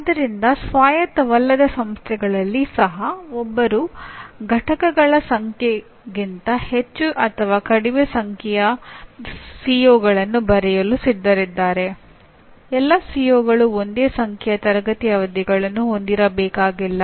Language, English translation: Kannada, So roughly even in non autonomous institutions if one is willing to write more or less number of COs than the number of units, the CO, all COs need not have the same number of classroom sessions, okay